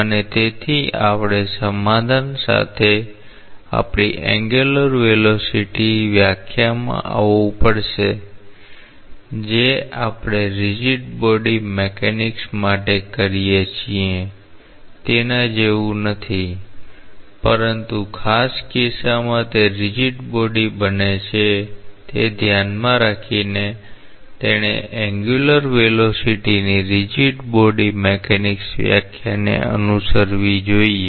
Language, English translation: Gujarati, And therefore, we have to come to our angular velocity definition with a compromise; not exactly same as we do for rigid body mechanics, but keeping in mind that in the special case that it becomes a rigid body, it should follow the rigid body mechanics definition of angular velocity